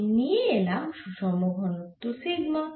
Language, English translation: Bengali, i will be the inform density sigma